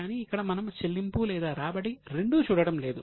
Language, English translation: Telugu, But here we are not looking at payment or receipt